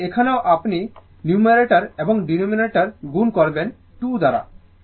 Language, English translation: Bengali, So, here also numerator and denominator you multiply by 2